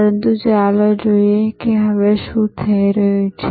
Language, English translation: Gujarati, But, let us see what is happening now